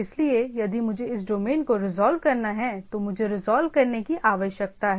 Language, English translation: Hindi, So, I if I want to resolve if I want to go to this domain I need to resolve